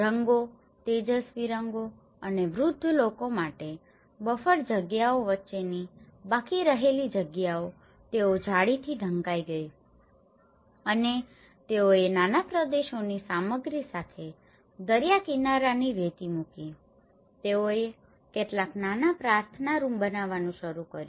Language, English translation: Gujarati, And the colours, the bright colours and for elderly people whatever the leftover spaces in between the buffer spaces, they covered with the net and they put the see shore sand with the small vernacular materials they started constructing some small prayer rooms